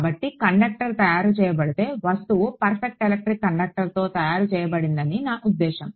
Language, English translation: Telugu, So, if the conductor is made I mean if the object is made out of a perfect electric conductor